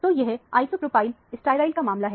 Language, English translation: Hindi, So, that is the isopropyl sterile case